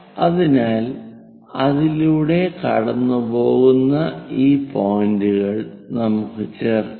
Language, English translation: Malayalam, So, let us join these points which are going through it